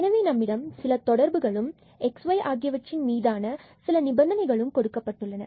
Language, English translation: Tamil, So, we have some relations some conditions on x y is given